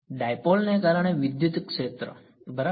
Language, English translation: Gujarati, The electric field due to dipole right